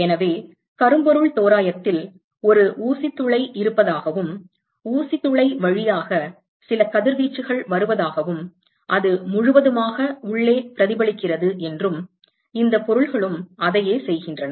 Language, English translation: Tamil, So, note that in the blackbody approximation we said there is a pinhole and some radiation comes through the pinhole and it gets totally reflected inside and this these objects exactly do the same